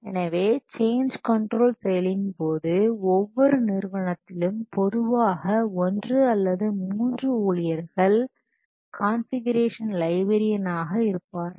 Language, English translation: Tamil, So, during this change control process, so in every organization normally one stop with there known as the configuration librarian